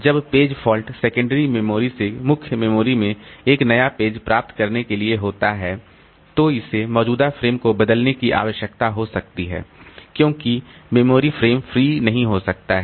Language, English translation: Hindi, When page fault occurs to get a new page from the secondary storage to the main memory, so it may require replacing the existing frame because the memory frame may not be free